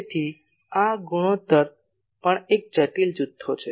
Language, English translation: Gujarati, So, this ratio is also a complex quantity